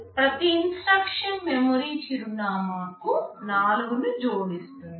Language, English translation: Telugu, Each instruction will be adding 4 to the memory address